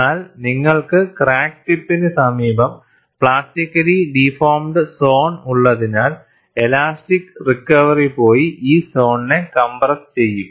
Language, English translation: Malayalam, But because you have plastically deformed zone near the crack tip, the elastic recovery will go and compress this zone